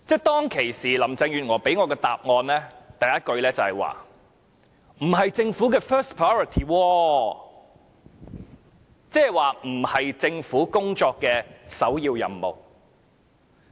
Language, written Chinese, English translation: Cantonese, 當時，林鄭月娥給予我的首句答覆，就是說這不是政府的 first priority， 意思是這並非政府工作的首要任務。, Carrie LAM replied upfront that this was not the Governments first priority meaning that this was not the first and foremost task of the Government